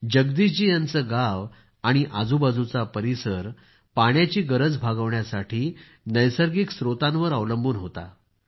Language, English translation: Marathi, Jagdish ji's village and the adjoining area were dependent on a natural source for their water requirements